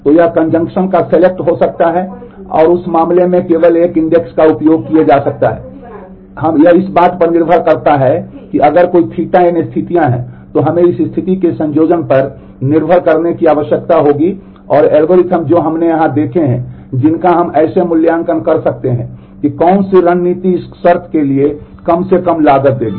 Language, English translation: Hindi, So, it could be conjunctive select and may be using only one index in that case it depends on if there are n conditions then we will need to depending on the combination of this condition theta n and the algorithms that we have seen here we can evaluate as to which strategy will give that least cost for this condition